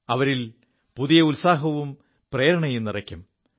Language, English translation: Malayalam, It will infuse afresh energy, newer enthusiasm into them